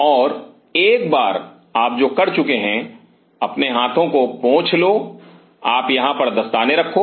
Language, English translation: Hindi, And once you are done and your wipe your hand you put on the gloves here